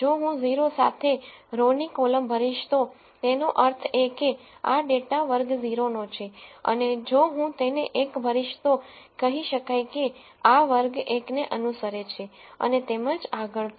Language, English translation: Gujarati, If I fill a column with row with 0 then that means, this data belongs to class 0 and if I fill it 1 then let us say this belongs to class 1 and so on